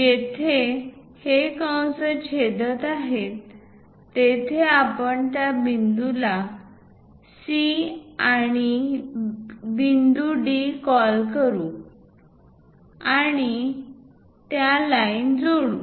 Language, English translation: Marathi, So, wherever these arcs are intersecting; we call that point C and point D and join that lines